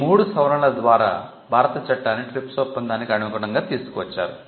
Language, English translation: Telugu, These three sets of amendment brought the Indian law in complete compliance with the TRIPS obligations